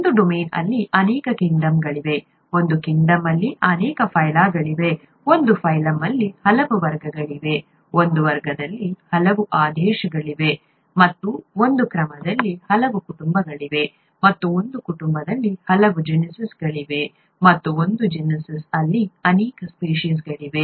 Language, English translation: Kannada, There are many kingdoms in a domain, there are many phyla in a kingdom, there are many classes in a phylum, there are many orders in a class, and there are many families in an order and there are many genuses in a family and many species in a genus